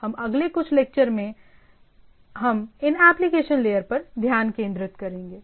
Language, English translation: Hindi, We will be for next couple of lectures we will be concentrating on these application layers